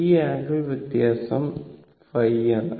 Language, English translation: Malayalam, So, angle should be phi